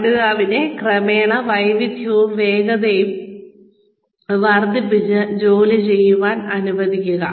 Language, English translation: Malayalam, Have the learner, do the job gradually, building up skill and speed